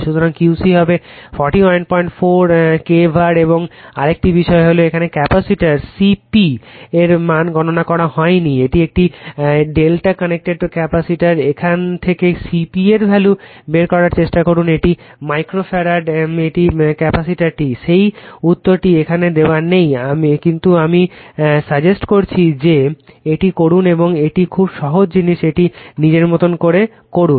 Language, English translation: Bengali, 4kVAr , and and another thing is there the capacitor C P value not computed here, it is a delta connected capacitor from this also you try to find out what is the value of C P right a capacity in micro farad that answer is not given here, but I suggest you please do it and this one is very simple thing you do it upto your own right